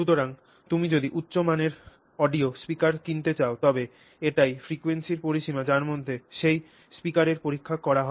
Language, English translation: Bengali, So, in fact, if you look at let's say, let's say you want to buy a high quality audio speaker then this is the range of frequencies over which that speaker would have been tested